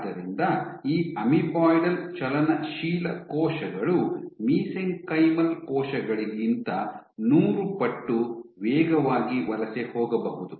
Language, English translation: Kannada, So, these can migrate in amoeboidal motility cells might migrate hundred times faster than mesenchymal cells